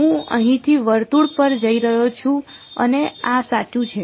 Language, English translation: Gujarati, I am going from here over the circle and like this correct